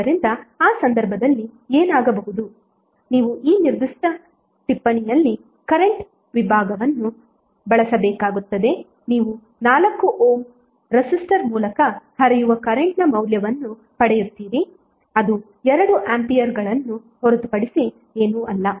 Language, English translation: Kannada, So in that case what will happen you have to use current division at this particular note you will get the value of current flowing through 4 Ohm resistor that is nothing but 2 ampere